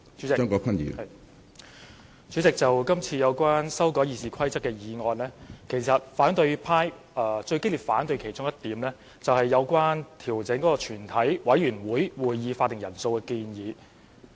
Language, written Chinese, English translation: Cantonese, 主席，就今次有關修改《議事規則》的建議，其實反對派最激烈反對的其中一點，是有關調整全體委員會會議法定人數的建議。, President among the current proposals to amend the Rules of Procedure RoP the proposal most strongly opposed by the opposition camp is related to the adjustment of the quorum of a committee of the whole Council